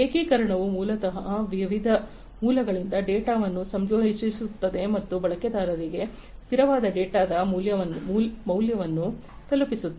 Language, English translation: Kannada, Integration is basically combining the data from various sources and delivering the users a constant data value